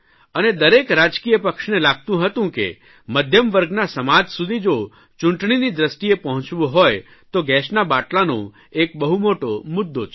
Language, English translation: Gujarati, And each political party felt that if they had to politically approach the middle class society, then gas cylinder was a major issue